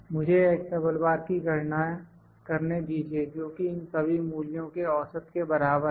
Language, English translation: Hindi, Let me calculate x double bar which is equal to average of all these values